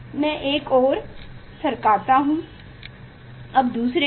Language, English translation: Hindi, one I move and then another I move